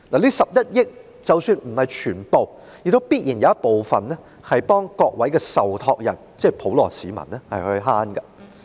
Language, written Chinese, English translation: Cantonese, 這11億元即使不是全部也必然有部分回饋委託人，即普羅市民。, Of the 1.1 billion a portion of the amount though not the full amount will surely go into the pocket of the contributors that is the general public